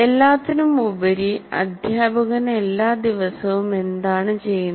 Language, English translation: Malayalam, After all, what is the teacher doing every day